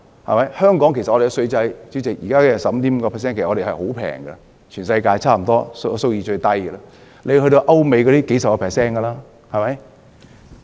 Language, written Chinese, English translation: Cantonese, 主席，香港現時 15.5% 的稅率其實十分低，在全世界差不多是數一數二的低，歐美的稅率是數十個百分比。, Chairman the tax rate of 15.5 % in Hong Kong is in fact very low . It is among the lowest in the world . The tax rates of some European countries are at dozens percentage points